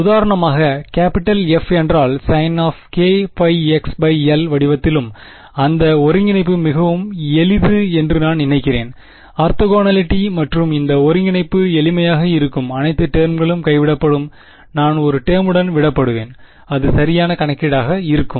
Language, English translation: Tamil, For example, if capital F where also of the form sine you know k pi x by l, then that integration is very simple I think it is orthogonality and this integration will be simpler all the terms will drop out I will be left with one term it will be exact calculation